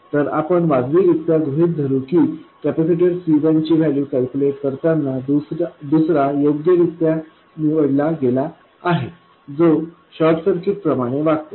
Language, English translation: Marathi, So, we will make a reasonable assumption that while calculating the value of capacitor C1, the other one is chosen correctly such that it does behave like a short circuit